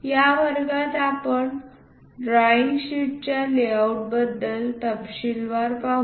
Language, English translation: Marathi, In this class we will look at in detail for a drawing sheet layout